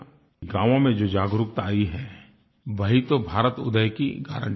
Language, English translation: Hindi, The awareness that has come about in villages guarantees a new progress for India